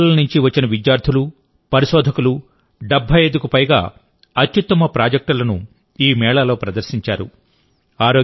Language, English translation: Telugu, In this fair, students and researchers who came from all over the country, displayed more than 75 best projects